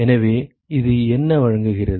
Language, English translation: Tamil, So, what does this offer what is this